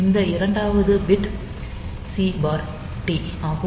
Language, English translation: Tamil, So, that is for then this second bit is C/T